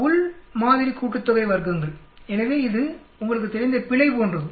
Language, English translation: Tamil, Within sample sum of squares, so it that is called more like an error you know